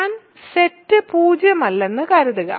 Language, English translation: Malayalam, So, assume I is not the set zero